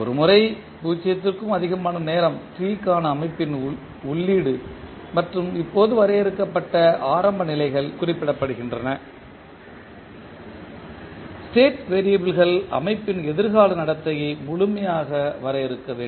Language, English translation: Tamil, Once, the input of the system for time t greater than 0 and the initial states just defined are specified the state variables should completely define the future behavior of the system